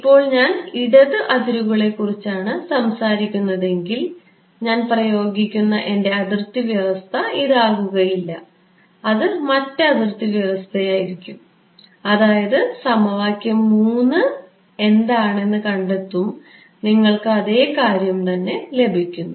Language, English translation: Malayalam, Now, if I were talking about the left boundary, my boundary condition that I impose will not be this one right, it will be other boundary condition, the other boundary condition meaning this guy, equation 3